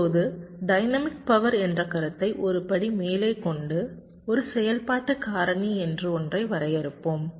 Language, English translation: Tamil, ok now, taking the concept of dynamic power one step forward, let us define something called an activity factor